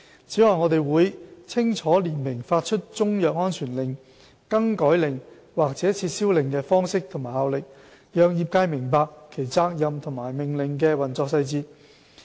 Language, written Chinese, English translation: Cantonese, 此外，我們會清楚列明發出中藥安全令、更改令及撤銷令的方式和效力，讓業界明白其責任和命令的運作細節。, Moreover we also set out clearly the forms and effects of a Chinese medicine safety order variation order and revocation order with a view to facilitating traders understanding of their responsibilities and the operational details of the orders